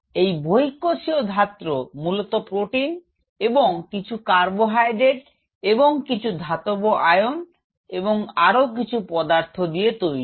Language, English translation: Bengali, And this extra cellular matrix is mostly proteins and part of carbohydrates and there are metal ions and several things which are involved in it